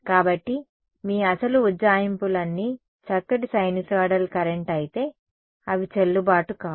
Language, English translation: Telugu, So, all your original approximations if a nice sinusoidal current, they are no longer valid